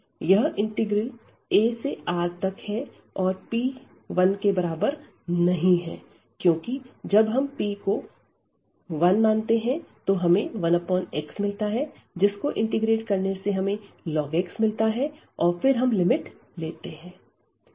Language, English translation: Hindi, So, this is the integral then a to R, but this is like taking p is not equal to 1 because when we take p is equal to 1 we will get this 1 over x which is the logarithmic here of x and then we will take the limit